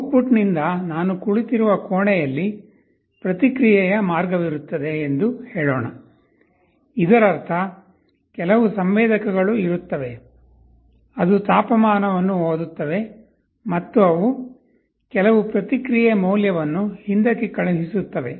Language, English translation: Kannada, And from the output let us say the room where I am sitting, there will be a feedback path; that means, there will be some sensors, which will be reading the temperature and it will be sending back some feedback value